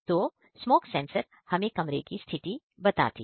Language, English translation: Hindi, So, smoke sensor show the value of the room condition